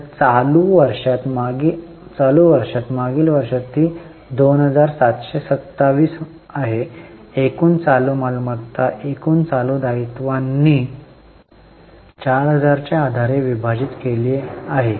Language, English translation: Marathi, So, in the last year, in the current year it is 2727 total current assets divided by total current liability of 4,000